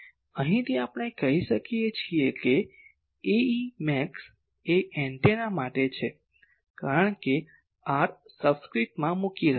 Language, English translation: Gujarati, So, from here, we can say that A e max of any antenna, because now r subscript I am leaving